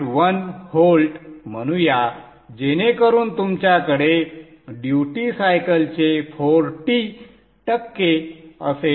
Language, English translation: Marathi, 1 volt so that you have some 40% or 40% duty cycle